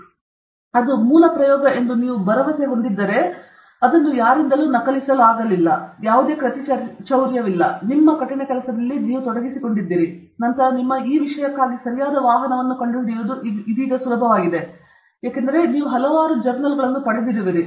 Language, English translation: Kannada, So, if you are confident that it is original, it is not copied, there is no plagiarism, you have put in your hard work, then finding the right vehicle for your this thing is so easy now, because you have got so many journals okay